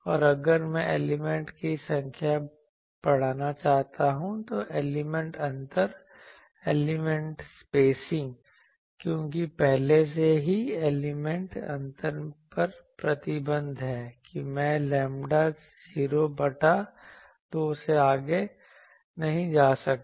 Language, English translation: Hindi, And also if I want to increase the number of elements, then the element spacing because already there is an restriction on element spacing that I cannot go beyond lambda 0 by 2